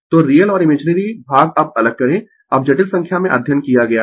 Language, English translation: Hindi, So, real and imaginary part you separate now you have studied in the complex number